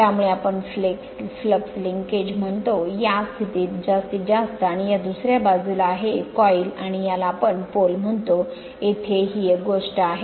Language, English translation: Marathi, So, at this position your what you call the flux linkages will be maximum and this is the other side of the coil the back coil and this is this thing you just out of this here what you call this pole